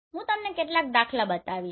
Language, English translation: Gujarati, So that I am going to show you some example